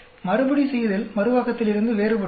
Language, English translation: Tamil, So, the Repeatability is different from Reproducibility